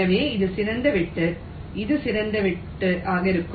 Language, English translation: Tamil, so this will be the best cut